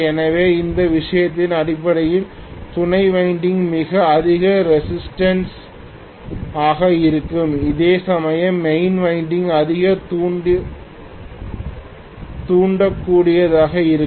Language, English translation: Tamil, So in this case basically auxiliary winding is going to be highly resistive, whereas main winding is going to be highly inductive